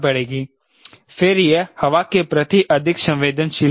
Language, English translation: Hindi, then it will be a more sensitive to wind